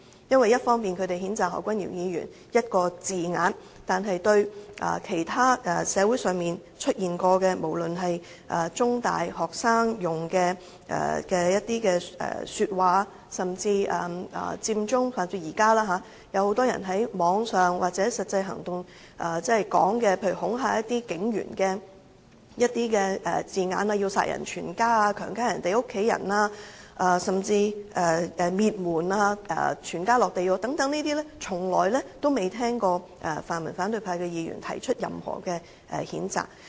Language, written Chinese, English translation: Cantonese, 他們一方面譴責何君堯議員所用的某一字眼，但對於其他曾在社會上出現的過火言論，無論是中大學生的一些說話，甚至由佔中至現在，很多人在網上或實際行動時說出的一些恐嚇警務人員的字眼，例如要"殺人全家"、"強姦他人的家人"，甚至"滅門"、"全家落地獄"等，卻都未聽見泛民反對派議員曾提出任何譴責。, On the one hand they censure Dr Junius HO for using a particular word but on the other hand they have never condemned other extremely disgusting expressions that appeared in the society including some remarks made by students of The Chinese University of Hong Kong or some threatening remarks made by many people to police officers online or during actual actions from Occupy Central until now such as kill the whole family rape family member of others even exterminate the whole family the whole family goes to hell and so forth